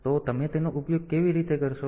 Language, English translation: Gujarati, So, how are you going to use it